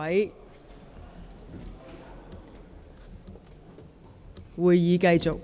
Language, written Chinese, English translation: Cantonese, 現在會議繼續。, The Council will now continue